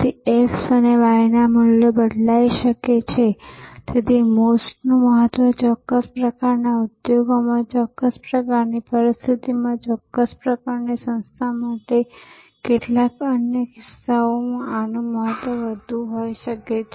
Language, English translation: Gujarati, So, this x and y values may change therefore, the importance of MOST maybe more in a certain type of industry, in a certain type of situation, for a certain type of organization or in some other cases this may have a higher level of importance